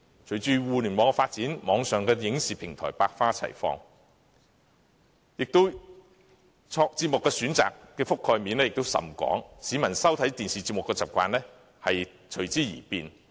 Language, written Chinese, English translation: Cantonese, 隨着互聯網發展，網上影視平台百花齊放，節目選擇的覆蓋面也甚廣，市民收看電視節目的習慣隨之而變。, With the development of the Internet online audio and visual platforms abound offering an extensive programming array and prompting changes in peoples viewing habits